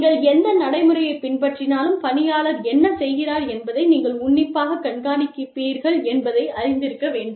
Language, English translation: Tamil, Whatever procedure you adopt, the employee must know, that you will be closely monitoring, what the employee does